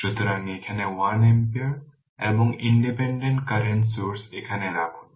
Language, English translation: Bengali, So, put 1 ampere here what you call and the independent current source here